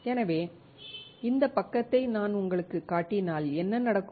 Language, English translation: Tamil, So, what will happen if I show you this side